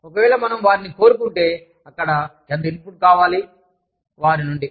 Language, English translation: Telugu, If, we want them, there, how much of input, do we want, from them